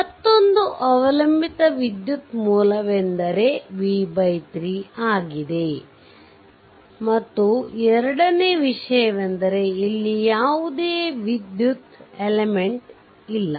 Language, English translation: Kannada, Another dependent current source is there the current is here v v by 3 right and second thing is at there is no electrical element here and nothing